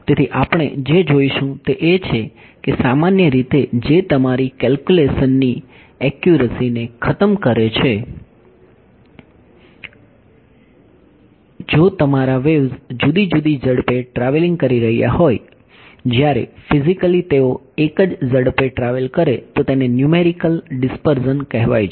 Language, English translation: Gujarati, So, a what we will look so, that in general that tends to destroy the accuracy of your calculation, if your waves are travelling at different speeds whereas physically they should travel at the same speed then that is what is called numerical dispersion